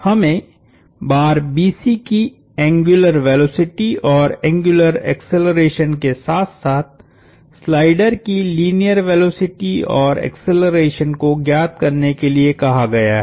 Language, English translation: Hindi, We are asked to find the angular velocity and angular acceleration of the bar BC, as well as the linear velocity and acceleration of the slider